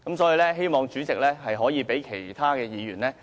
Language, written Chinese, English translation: Cantonese, 所以，希望主席能讓其他議員盡情發言，多謝主席。, Hence I hope that the President will let other Members speak their mind freely . Thank you President